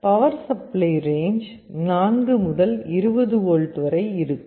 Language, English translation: Tamil, The power supply range is also from 4 to 20 volts